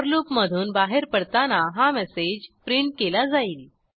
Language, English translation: Marathi, On exiting the for loop, this message is printed